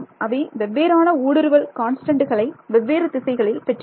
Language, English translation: Tamil, They have different propagation constants in different directions even though